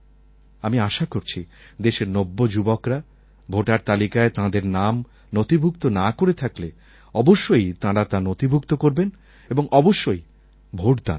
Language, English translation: Bengali, I hope that all the youngsters who have not been registered in the voter's list yet, get themselves registered and must vote too